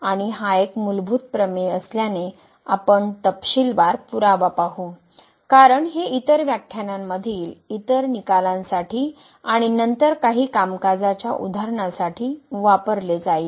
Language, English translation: Marathi, And since it is a very fundamental theorem so we will also go through the detail proof because this will be used for various other results in other lectures and then some worked examples